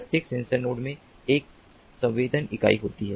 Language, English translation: Hindi, every sensor node has a sensing unit